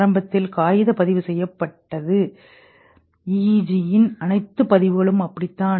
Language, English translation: Tamil, Initially, paper recording was done and all recording of EEG like this